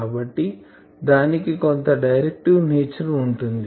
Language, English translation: Telugu, So, that will have some directive nature